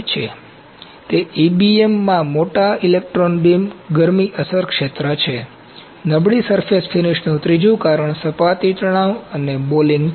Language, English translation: Gujarati, It is large electron beam heat affected field in EBM, third reason for poor surface finish is surface tension and balling